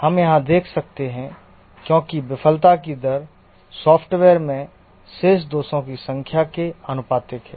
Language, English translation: Hindi, Here the basic assumption is that the failure rate is proportional to the number of faults remaining in the software